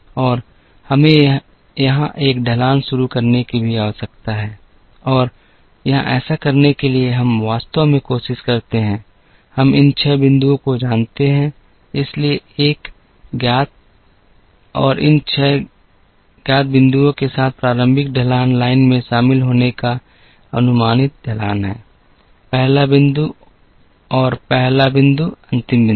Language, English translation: Hindi, And we also need to initialise a slope here and in order to do that here, we actually try, we know these 6 points, so with a known 6 points the initial slope is the approximate slope of the line joining, the first point and the last point